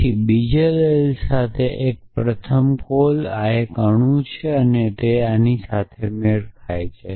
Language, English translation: Gujarati, Then one with the second argument then the first call this is an atom and this matches this